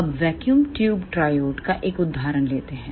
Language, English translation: Hindi, Now, take an example of vacuum tube triode